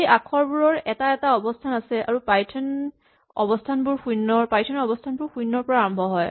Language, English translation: Assamese, Well, these characters have positions and in python positions in a string start with 0